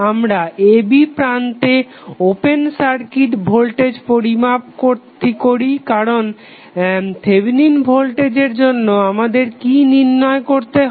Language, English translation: Bengali, We find out the open circuit voltage across the terminal a, b because in case of Thevenin voltage Thevenin what we have to find out